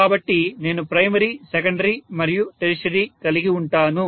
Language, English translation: Telugu, So I am having primary, secondary and tertiary